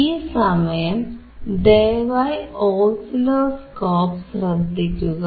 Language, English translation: Malayalam, Now please focus on the oscilloscope